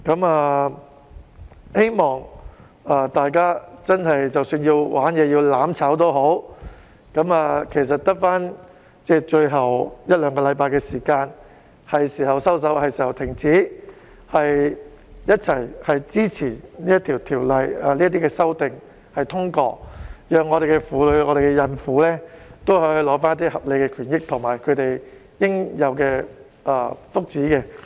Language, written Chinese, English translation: Cantonese, 我希望大家即使真的要"玩嘢"或"攬炒"，其實只餘下最後一兩星期，現在是時候收手、停止，一起支持《條例草案》的修訂及通過，讓婦女和孕婦可以取得合理的權益及應有的福利。, I hope that even if some Members want to play tricks to achieve their goal of only a week or two is left it is time for them to cut it out and stop to give their support to the amendments and the passage of the Bill so as to allow women and pregnant women to enjoy their rightful benefits interests and welfare entitlements